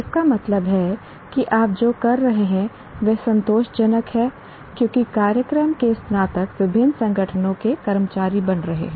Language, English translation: Hindi, That means what you are doing is satisfactory because the graduates of the program are becoming the employees of various organizations